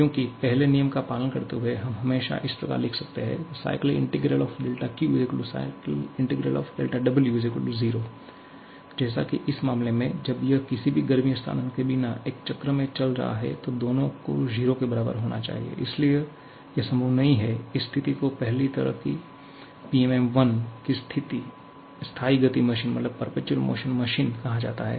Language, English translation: Hindi, Because following the first law, we can always write cyclic integral of del Q = cyclic integral of del W and in this particular case, when it is operating in a cycle without any heat transfer, both of them has to be equal to 0 so, this is not possible, this situation is called perpetual motion machine of the first kind of PMM1